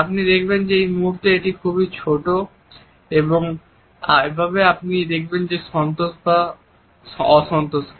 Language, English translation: Bengali, You see it right here at this moment very very tiny and that is how you can see that there is anger and content